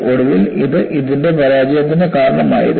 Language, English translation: Malayalam, So, eventually, this would have precipitated the failure of it